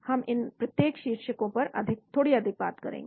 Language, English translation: Hindi, we will talk a little bit more on each one of these headings